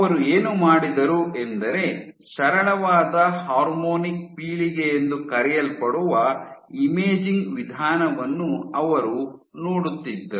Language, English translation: Kannada, So, what they did was they looked the use of imaging my modality called simple harmonic generation